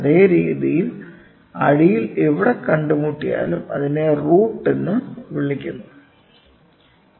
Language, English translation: Malayalam, In the same way in the bottom wherever it meets in it is called as the root